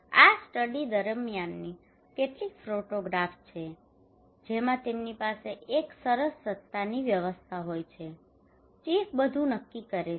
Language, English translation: Gujarati, This is some of the photographs during the study they have a chieftainship system, chief decides everything